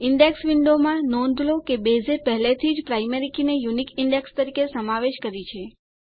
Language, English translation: Gujarati, In the Indexes window, notice that Base already has included the Primary Key as a unique Index